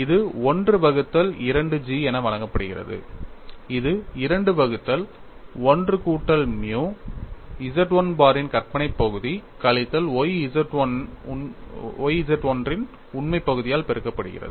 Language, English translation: Tamil, So, I have v equal to 1 by 2 G of 2 by 1 plus nu multiplied by imaginary part of Z 1 bar minus y real part of Z 1